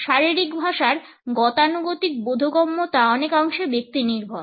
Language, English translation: Bengali, The conventional understanding of body language used to provide us a personalization